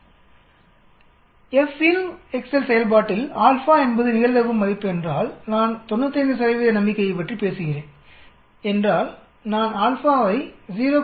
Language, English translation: Tamil, Insert the slide of FINV from the video In the FINV excel function, if alpha is the probability value, so if I am talking about 95 percent confidence I will give alpha as 0